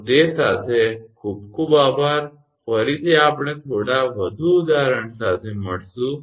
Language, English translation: Gujarati, So, with that thank you very much, again we will come with few more examples